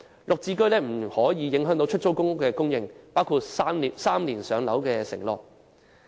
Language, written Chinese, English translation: Cantonese, "綠置居"不得影響出租公屋的供應，包括 "3 年上樓"的承諾。, GSH must not affect the supply of PRH including the pledge to maintain the waiting time at three years for PRH